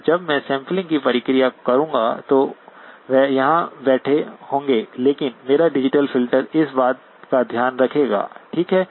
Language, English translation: Hindi, And when I do the sampling process, that will be sitting here, but my digital filter will take care of that, okay